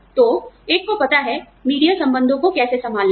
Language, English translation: Hindi, So, one has to know, how to handle, media relations